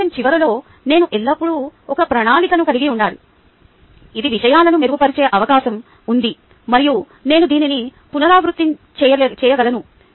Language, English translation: Telugu, at the end of reflection, i should always have a plan in place which has the possibility of improving matters, and i can go on repeating this